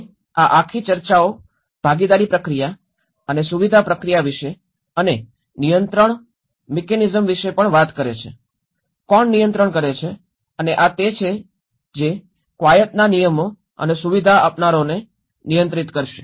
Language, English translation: Gujarati, And this whole discussions talks about the participation process and the facilitation process and also the control mechanisms, who controls what and this is what who will control the rules of the exercise and the facilitators